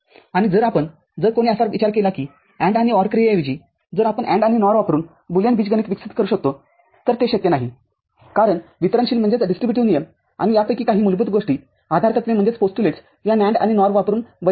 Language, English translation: Marathi, And if you if somebody things that instead of AND and OR operation if we can develop a Boolean algebra using NAND and NOR it is not possible because the distributive law and some of these basic things postulates are not valid using NAND and NOR